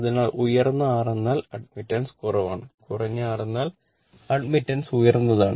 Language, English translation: Malayalam, So, if ha high R means admittance is low, low R means admittance is high